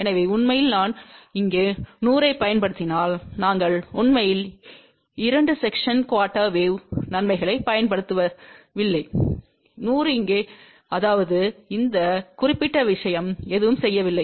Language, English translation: Tamil, So, in reality if I use 100 here we are not really using advantages of two section quarter wave ; 100 here, 100 here; that means, this particular thing has not done anything